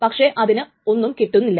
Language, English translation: Malayalam, It cannot obtain anything